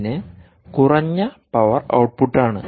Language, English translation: Malayalam, it is ah, a low power output